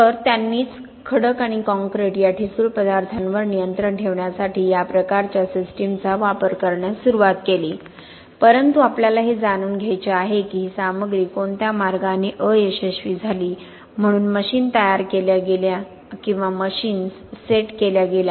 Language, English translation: Marathi, So, they were the ones who started using these types of systems to control test on rock and concrete which are brittle materials but we would like to know what is the way did this material fail, so machines were created or machines were set up, so that you could get the response in a stable manner